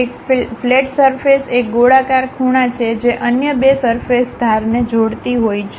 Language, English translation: Gujarati, A fillet surface is a rounded corner, connecting the edges of two other surfaces